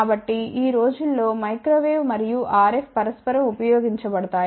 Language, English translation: Telugu, So, these days microwave and RF are used interchangeably